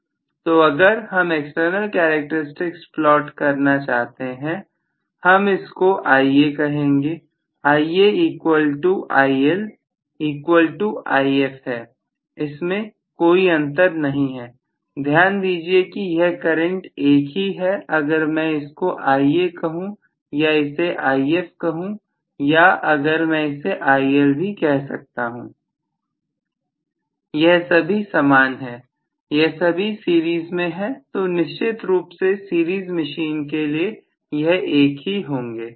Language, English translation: Hindi, So, if I want to really plot the external characteristic I have to say it is Ia after all Ia equal to IL equal to If, there is no difference at all, please note that this current is the same if I make all this as Ia or this is If or if I call this as IL all of them are the same, all of them are in series, so all the 3 are essentially the same in a series machine